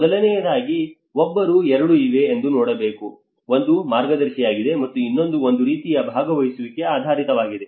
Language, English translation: Kannada, First of all, one has to look at there are two, one is guided, and the other one is a kind of participation oriented